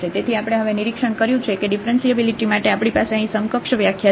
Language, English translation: Gujarati, So, we have observed now that for the differentiability we have the equivalent definition here